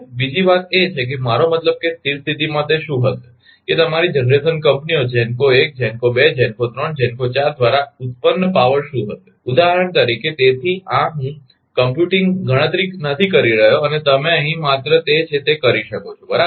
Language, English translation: Gujarati, Another thing is another thing is that what will be the I mean at the steady state what will be the power generated by your generation companies GENCO 1, GENCO 2, GENCO 3, GENCO 4 right for example, so this is I am not computing for you here ah just you can do it whatever it is right